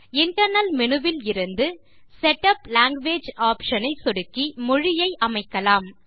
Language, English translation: Tamil, You can setup language by clicking Setup language option from the Internal Menu